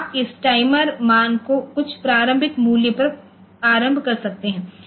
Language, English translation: Hindi, So, you can initialize this timer value to some initial value